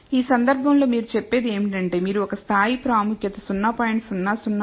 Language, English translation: Telugu, So, in this case all it is saying is, if you choose a level of significance 0